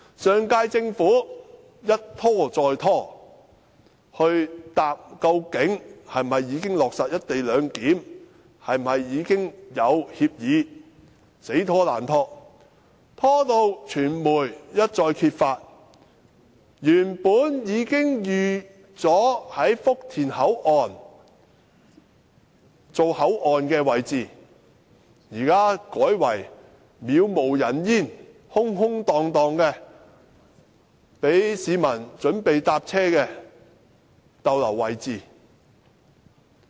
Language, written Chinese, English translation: Cantonese, 上屆政府一拖再拖，沒有回答究竟是否已經落實"一地兩檢"，是否已經有協議，它一拖再拖，直至傳媒揭發原本已經預計在福田站設立口岸的位置，現時卻成為杳無人煙、空空蕩蕩、讓市民候車的位置。, The last Government stalled on the proposal and refused to answer whether it has chosen the co - location arrangement or not and whether it has already forged an agreement with the Mainland . It stalled on the proposal until the press discovered that the area in Futian Station originally reserved for the port area was now left vacant and used as a parking lot